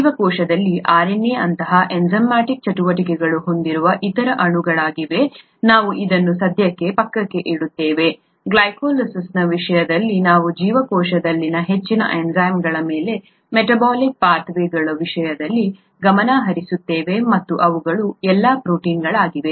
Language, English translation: Kannada, There are other molecules in the cell that have enzymatic activities such as RNA, we will keep that aside for the time being, we’ll just focus on the majority of enzymes in the cell in terms of glycolysis, in terms of metabolic pathways and they are all proteins